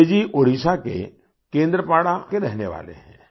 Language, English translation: Hindi, Bijayji hails from Kendrapada in Odisha